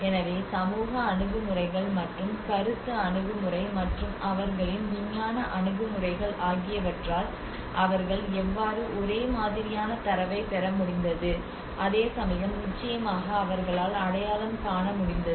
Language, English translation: Tamil, So by both by the social approaches and as perception approach and by their scientific approaches how they have able to get a similar set of data but of course they could able to identify